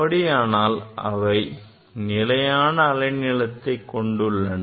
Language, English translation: Tamil, That means, it has fixed wavelength